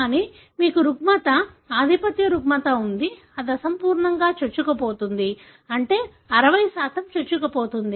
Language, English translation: Telugu, But you have disorder, dominant disorder that is incomplete penetrant, meaning 60% penetrance